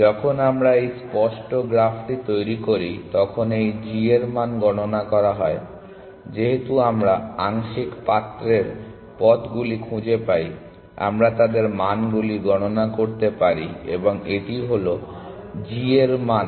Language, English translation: Bengali, As we build this explicit graph this g value are computed, as we find partial pots paths we can compute their values and that is the g value